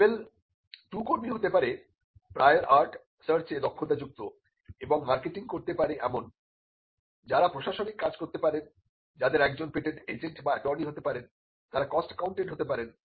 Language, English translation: Bengali, Level 2 staff of people who have skill on prior art search and who are who can do marketing who can do the administrative work they could be one patent agent or attorney they could also be a cost accountant